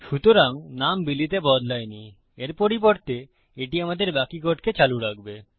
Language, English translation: Bengali, So, the name is not changed to Billy instead itll carry on with the rest of our code